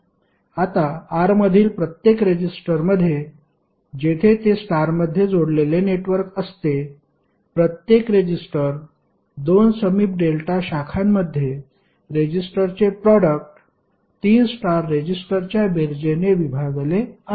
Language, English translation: Marathi, Now in each resistor in R, where that is the star connected network, the each resistor is the product of the resistors in 2 adjacent delta branches divided by some of the 3 star resistors